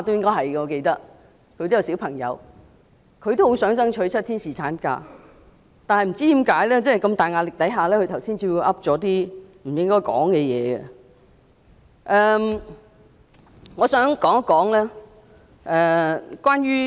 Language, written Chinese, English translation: Cantonese, 我記得他有小孩——他也很想爭取7天侍產假，但是在巨大壓力下，他剛才卻說了一些不該說的話。, I remember that he has a child―he is also eager to strive for seven days paternity leave but under huge pressure he uttered some improper words just now